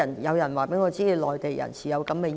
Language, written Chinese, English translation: Cantonese, 有人告訴我，內地人士有這樣的意見。, Some people have told me that the Mainland people have this kind of opinions